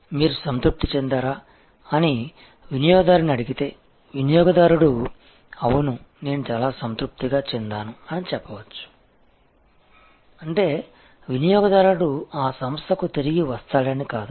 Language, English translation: Telugu, If you ask the customer that whether you satisfied, the customer might say yes, I was quite satisfied that does not mean that the customer will come back to that establishment